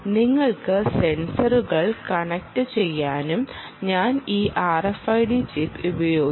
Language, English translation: Malayalam, right, you can connect sensors, and i used this r f i d chip and in fact, this was done in the lab